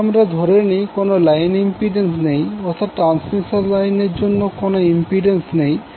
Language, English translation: Bengali, If we assume there is no line impedance means there is no impedance for the transmission line